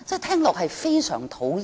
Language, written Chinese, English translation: Cantonese, 聽罷令人非常討厭。, It is utterly disgusting to the ear